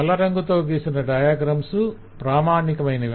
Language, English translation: Telugu, the diagrams that are written in black are part of the standard